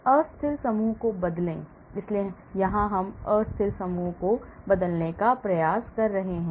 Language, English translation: Hindi, Replace unstable groups, so here we are trying to replace unstable groups here